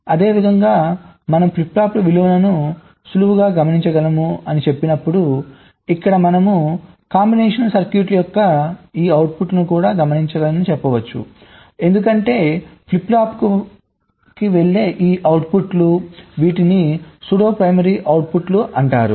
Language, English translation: Telugu, similarly, when we say we can observe the values of flip flops easily here, as if we are saying that we can, we can observe these outputs of combinational circuits also, because it is these outputs that are going to the flip flop